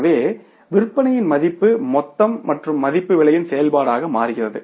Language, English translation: Tamil, So, value of the sales is total and value becomes as is the function of the price